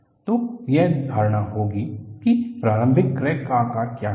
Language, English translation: Hindi, So, that would be the assumption on what is the initial crack size